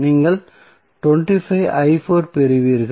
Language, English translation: Tamil, What you will get